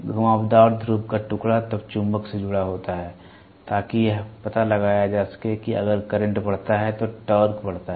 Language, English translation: Hindi, The curved pole piece is then attached to the magnet to ascertain if the torque increases as the current increases